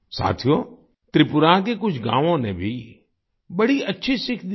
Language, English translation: Hindi, Friends, some villages of Tripura have also set very good examples